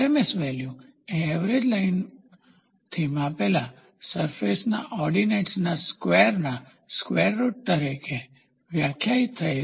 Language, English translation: Gujarati, The RMS value is defined as the square root of means of squares of the ordinates of the surface measured from a mean line